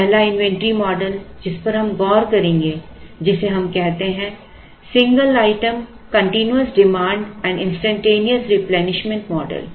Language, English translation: Hindi, So, the first inventory model that we will look at which we call as model one is called single item continuous demand and instantaneous replenishment